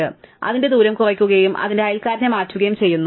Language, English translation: Malayalam, We reduce its distance and we change its neighbour